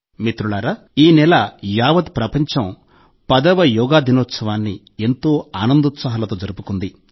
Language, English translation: Telugu, Friends, this month the whole world celebrated the 10th Yoga Day with great enthusiasm and zeal